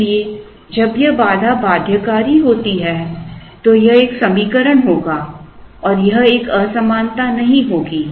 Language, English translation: Hindi, Therefore, when this constraint is binding it will be an equation and it will not be an inequality